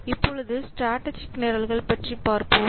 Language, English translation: Tamil, Now, let's see about this strategic programs